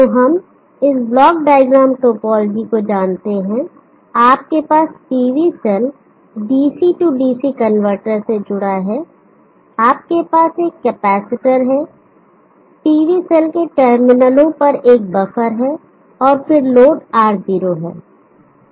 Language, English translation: Hindi, So we know this block diagram topology you have PV cell connected to the DC DC converter you have a capacitor buffer at the terminals of the PV cell, and then the load R0